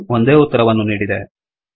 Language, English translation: Kannada, It has give the same answer